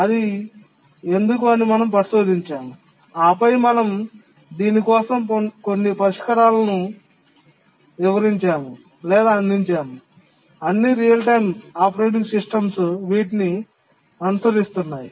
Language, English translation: Telugu, We investigated why it was so and then we explained or offered some solutions for that which all real time operating systems, they do follow those